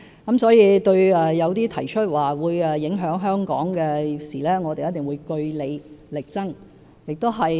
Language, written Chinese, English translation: Cantonese, 因此，對於一些據報會影響香港的事，我們一定會據理力爭。, Hence for issues reported to have impacts on Hong Kong we will definitely stand our ground